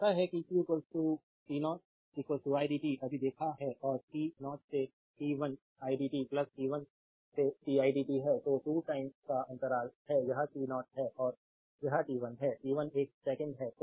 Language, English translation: Hindi, So, we know that q is equal to t 0 to idt is just we have seen right and t 0 to t 1 idt plus t 1 to t i dt then you have a 2 time interval this is say t 0 and this is t 1; t 1 is one second